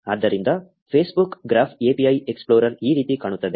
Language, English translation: Kannada, So, this is how the Facebook graph API explorer looks like